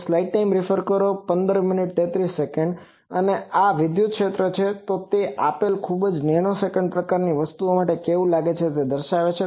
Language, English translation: Gujarati, And this is the electric field how it looks like for a given very nanosecond type of a thing